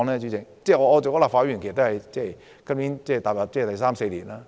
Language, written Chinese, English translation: Cantonese, 主席，我出任立法會議員已有三四年。, President I have been serving as a Member for nearly four years